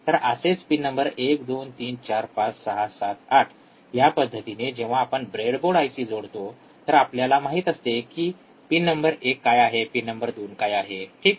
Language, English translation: Marathi, So, pin number 1, 2, 3, 4, 5, 6, 7, 8 so, in that particular sense, when we connect the IC to the breadboard, we know what is pin number one what is pin number 2, alright